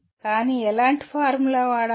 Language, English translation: Telugu, But what kind of formula to be used